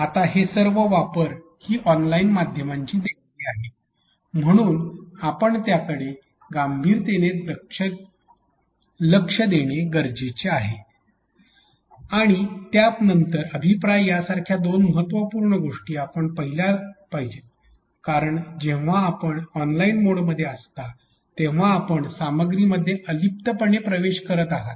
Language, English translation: Marathi, Now, all these affordances are the gift of online media therefore, we need to look into that in a very serious manner and followed by couple of important things such as feedback because when you are in online mode you are actually accessing this content in isolation